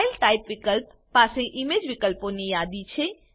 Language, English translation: Gujarati, File Type field has a list of image options